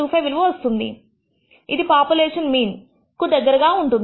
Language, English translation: Telugu, 25 which is very close to the population mean